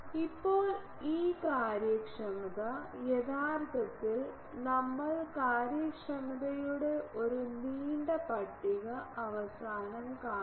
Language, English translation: Malayalam, Now, these efficiencies the first one actually we will see a long list of efficiencies at the end